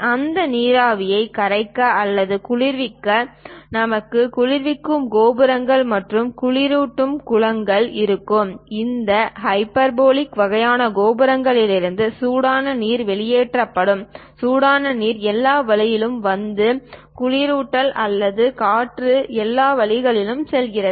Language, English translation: Tamil, To condense that steam or to cool that, we will have chilling towers and chilling ponds; and hot water will be dripped from these hyperbolic kind of towers, the hot water comes down all the way and coolant or air goes all the way up